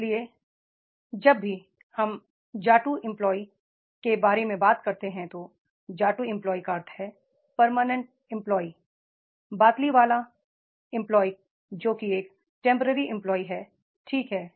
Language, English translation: Hindi, So, whenever we are talking about saying the jatu employee, jatu employee means the permanent employee, but liwala employee that is a temporary employee, right